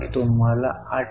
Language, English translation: Marathi, So, you get 8